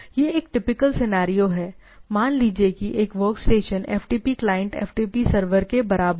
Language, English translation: Hindi, So, this is a typical scenario say workstation FTP client equates to a FTP server